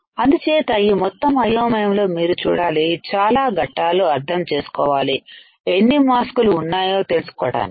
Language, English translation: Telugu, So, with all this confusion you have to see so many steps to understand how many masks are there